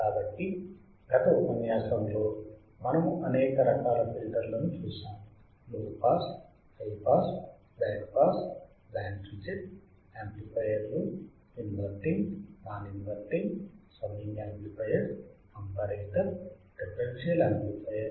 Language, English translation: Telugu, So, we have seen several types of filters right in the last lecture; right from low pass, high pass, band pass, band reject, amplifiers, inverting, non inverting, summing amplifier, comparator a differential amplifier